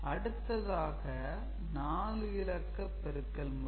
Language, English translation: Tamil, So, this is 4 bit cross 4 bit multiplication ok